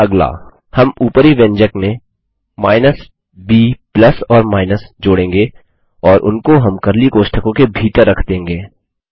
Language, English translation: Hindi, Next, we will add the minus b plus or minus to the above expression and put them inside curly brackets